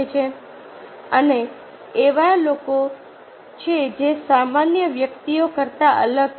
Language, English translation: Gujarati, and this are the people who are different from usual persons